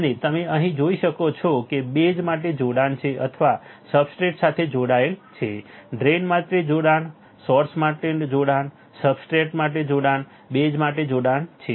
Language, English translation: Gujarati, And you can see here there is a connection for the base or is connected for the substrate, connection for the base connection for the substrate connection for source connection for drain